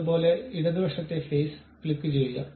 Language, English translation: Malayalam, Similarly, click the left side face